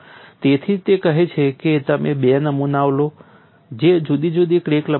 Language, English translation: Gujarati, So, that is why he says you take 2 specimens which are of different crack lengths